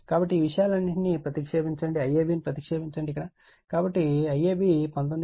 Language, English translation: Telugu, So, substitute your all these things, I ab you substitute, so I ab is 19